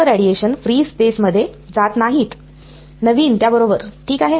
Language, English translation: Marathi, Not all the radiation is going to go into free space newly with that ok